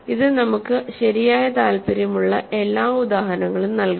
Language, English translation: Malayalam, This is providing us all the examples that we are interested in right